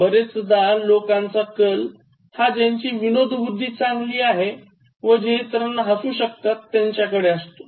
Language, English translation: Marathi, Often, I said people gravitate towards the one with good sense of humour and who is able to make people laugh